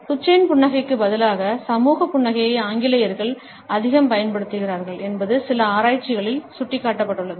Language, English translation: Tamil, It is pointed out in certain researches that the British are more likely to use the social smile instead of the Duchenne smile